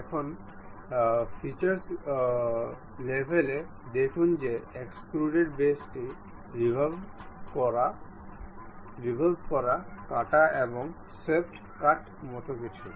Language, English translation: Bengali, Now, see at the features level there is something like extruded boss revolve base extruded cut and swept cut